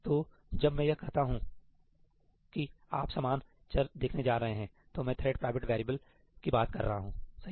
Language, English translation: Hindi, So, when I say that you are going to see the same variable, I am talking about thread private variables